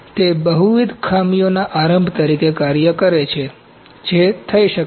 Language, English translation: Gujarati, So, it acts as an initiator of multiple defects that could happened